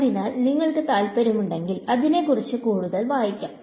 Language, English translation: Malayalam, So, if you are interested you can read more on that